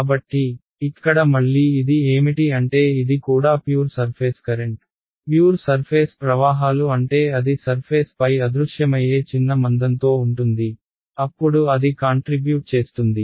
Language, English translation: Telugu, So, what is this again over here this is also a pure surface current pure surface currents means it lives in the surface in a vanishingly small thickness, only then can it contribute